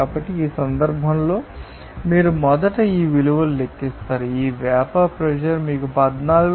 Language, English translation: Telugu, So, in this case a first of all you calculate this value, you know these vapour pressure at this you know 14